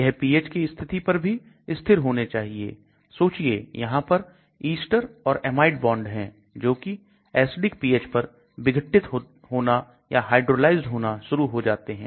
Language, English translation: Hindi, It should also be stable at these pH conditions suppose there are ester bonds or amide bonds which start degrading or getting hydrolyzed at acidic pH